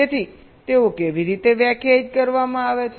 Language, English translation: Gujarati, so how are they defined